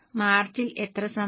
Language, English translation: Malayalam, How many for March